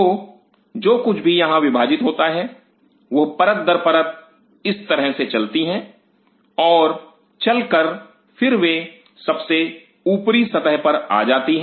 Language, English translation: Hindi, So, whatever divides here they move like this layer by layer them move and then they come to the uppermost layer